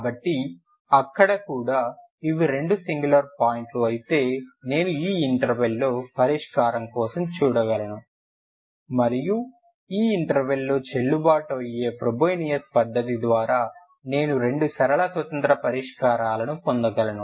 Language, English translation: Telugu, So even there if these are the two singular points I can look for solution in this interval and I can get two linear independent solutions by the febonacci method in this which is valid in this interval